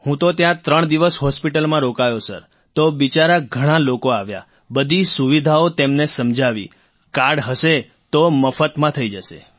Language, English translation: Gujarati, I stayed there for three days in the hospital, Sir, so many poor people came to the hospital and told them about all the facilities ; if there is a card, it will be done for free